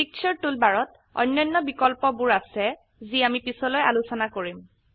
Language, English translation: Assamese, There are other options on the Picture toolbar which we will cover later